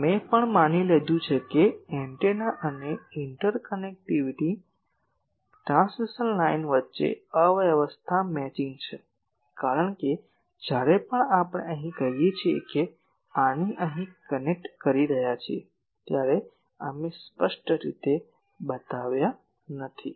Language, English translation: Gujarati, Also we assume that the impedance matching is there between the antenna and the interconnecting transmission line because, here when we are saying that connecting this here we have not explicitly shown